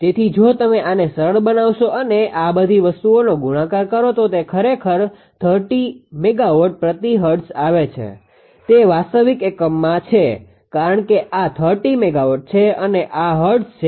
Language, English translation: Gujarati, So, if you simplify this and multiply all these things they write it is coming actually 30 megawatt for hertz it is in real unit because this 30 megawatt and this is hertz